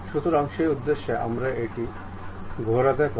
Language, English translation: Bengali, So, for that purpose, we can really rotate this